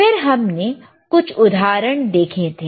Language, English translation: Hindi, Then we have seen few examples